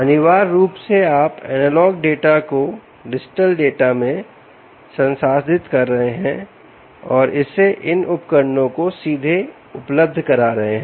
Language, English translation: Hindi, essentially, ah, you could be processing the analogue information, analogue dada, into digital data and making it available directly onto these devices